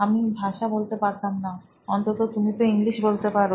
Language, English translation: Bengali, I couldn’t speak the language, at least you can speak English